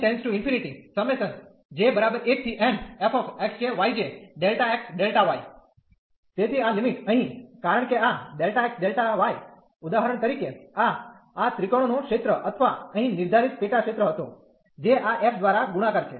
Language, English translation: Gujarati, So, this limit here, because this delta x delta y for example this was the area of this triangle or the sub region defined here, which is multiplied by this f